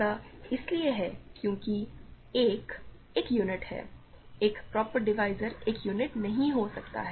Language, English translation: Hindi, This is because 1 is a unit, a proper divisor cannot be a unit